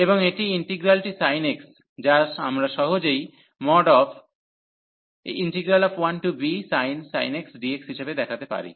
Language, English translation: Bengali, And this integral the sine x, which we can easily show that 1 to b this sine x dx